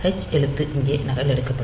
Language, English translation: Tamil, So, the h character will be copied here